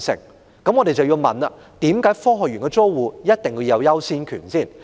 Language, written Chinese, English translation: Cantonese, 那麼，我們便要問：科學園的租戶為何有優先權？, Such being the case we need to ask Do the tenants in the Science Park enjoy priority?